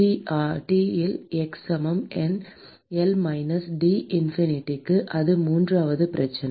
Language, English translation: Tamil, h by L into T at x equal to L minus T infinity that is the third problem